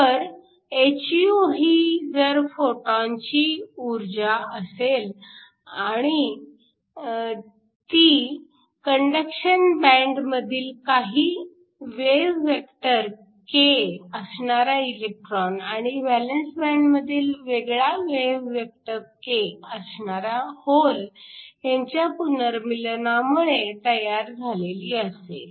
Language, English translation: Marathi, So, hυ is the energy of the photon and this is because of recombination of an electron in the conduction band with some wave vector k, with the hole in the valence band having a some other wave vector k